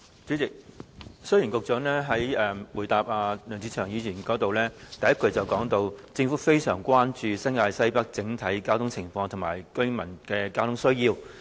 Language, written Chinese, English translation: Cantonese, 主席，雖然局長在回答梁志祥議員的質詢時，第一句就提到"政府非常關注新界西北整體交通情況及居民的交通需要"。, President though the first thing the Secretary said in his reply to Mr LEUNG Che - cheungs question is [t]he Government is highly concerned about the overall traffic condition and residents transport needs in the Northwest New Territories